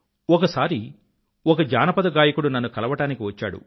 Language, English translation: Telugu, Once a folk singer came to meet me